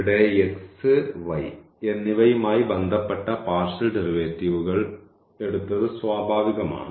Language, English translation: Malayalam, And, here we should note there the partial derivatives were taken with respect to x and y which was natural